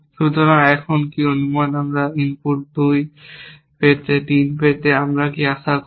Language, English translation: Bengali, So, now what supposing we get this input 2 input, 3, here what do we expect